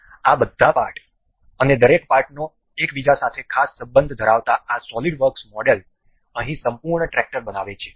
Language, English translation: Gujarati, This number of parts and each parts having a particular relation with each other forms a complete tractor here in this SolidWorks model